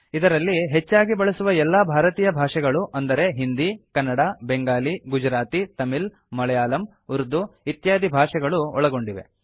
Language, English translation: Kannada, This includes most widely spoken Indian languages including Hindi, Kannada, Bengali, Gujarati, Tamil, Telugu, Malayalam, Urdu etc